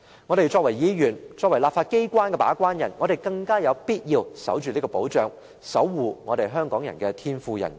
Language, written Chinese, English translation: Cantonese, 我們身為議員及立法機關的把關人，更有必要守住這項保障，守護香港人的天賦人權。, Given our capacity as Members and gatekeepers of the legislature it is all the more necessary for us to uphold such protection and safeguard Hongkongers inherent human rights